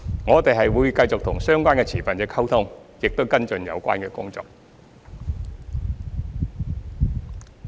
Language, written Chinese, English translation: Cantonese, 我們會繼續與相關持份者溝通，亦會跟進有關工作。, We will continue to communicate with the stakeholders concerned and will also follow up on the relevant work